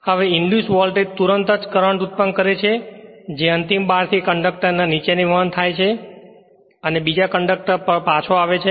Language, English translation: Gujarati, Now, the induced voltage immediately produces a current I which flows down the conductor through the end bar and back through the other conductors